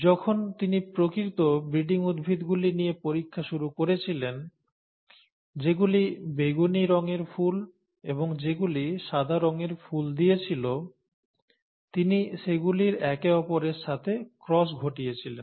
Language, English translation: Bengali, So when he started out with true breeding plants, the ones that yielded purple colour flowers and the ones that yielded white , white colour flowers, and he crossed them with each other